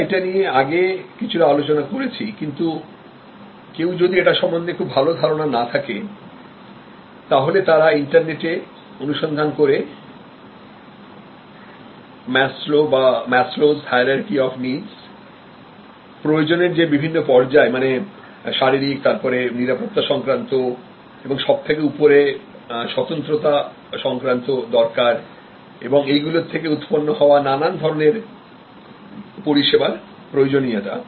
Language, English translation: Bengali, We have already briefly discuss this earlier, but if you are again not familiar, you can again go back to the net and search for Maslow, Maslow’s hierarchy of needs and just quickly go through those several stages of needs starting from physical and security needs going up to self actualization and the different kind of triggers that can happen for different kinds of services with respect to those needs